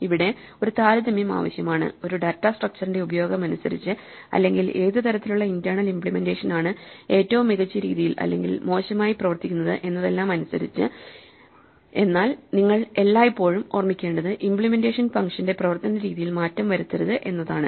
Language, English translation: Malayalam, There may be tradeoffs which depend on the type of use they are going to put a data structure to as to which internal implementation works worst best, but what you have to always keep in mind is that the implementation should not change the way the functions behave